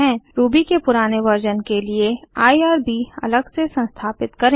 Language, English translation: Hindi, For older version of Ruby, install irb separately